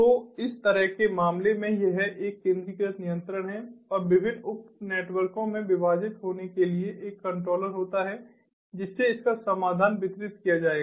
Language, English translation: Hindi, so in such a case its a centralized control, and dividing into different sub networks are having a controller corresponding to it will be distributed solution